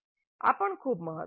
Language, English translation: Gujarati, That is also very important